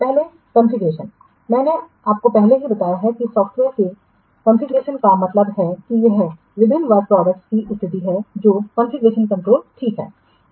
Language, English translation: Hindi, I have already told you that configuration of software means it is the state of the various work products, those are under configuration control